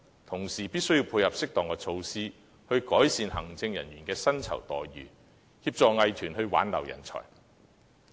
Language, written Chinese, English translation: Cantonese, 同時，政府亦必須訂定措施，改善藝術行政人員的薪酬待遇，以協助藝團挽留人才。, In parallel the Government must also draw up measures to improve the remuneration packages for arts administrators so as to help arts groups retain their talent